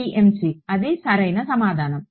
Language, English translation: Telugu, PMC, right that is right